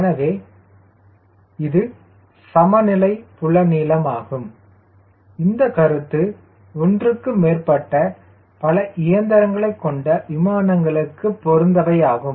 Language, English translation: Tamil, so this balance field length or this philosophy you relevant for aircraft, has been more than one engine, right